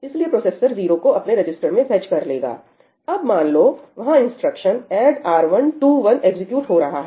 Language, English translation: Hindi, So, processor 1 will fetch 0 into its register and now, let us say, there it is executing ëadd R1 to oneí